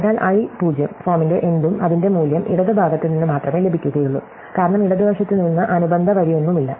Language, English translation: Malayalam, So, anything of the form (i,0) derives its value only from the left because there is no corresponding row from the left